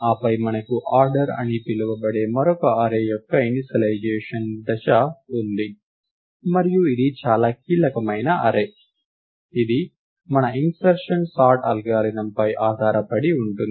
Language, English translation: Telugu, Then we have an initialization step of another array called order, and this is a very crucial array which is what we base our insertion sort algorithm on